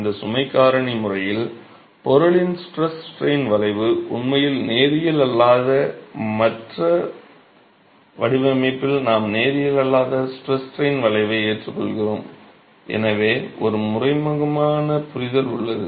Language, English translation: Tamil, In this load factor method, there is an implicit understanding that the stress strain curve of the material in reality is nonlinear and in design we adopt a nonlinear stress strain curve